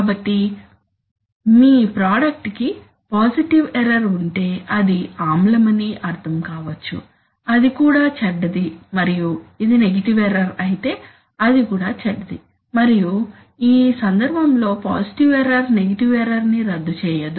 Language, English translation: Telugu, So if your product is, has positive error which might mean that it is acidic then also it is bad and if it is negative error then also it is bad, and in this case positive error does not cancel negative error